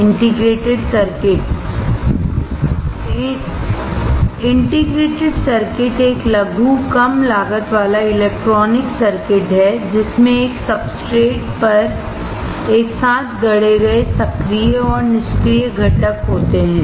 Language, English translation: Hindi, An integrated circuit is a miniaturized low cost electronic circuit consisting of active and passive components fabricated together on a substrate